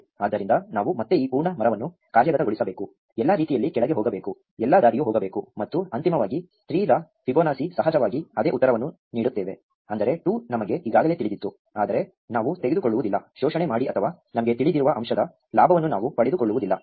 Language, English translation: Kannada, So, we will again have to execute this full tree, go all the way down, go all the way up and eventually Fibonacci of 3 will of course, give us the same answer namely 2, which we already knew, but we would not take exploit or we would not take advantage of the fact that we knew it